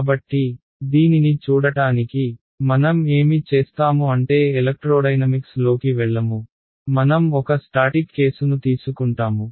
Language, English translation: Telugu, So, in order to look at this, there are what I will do is we will not even go into electrodynamics, we will just take a static case